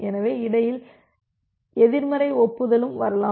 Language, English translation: Tamil, So, negative acknowledgement in between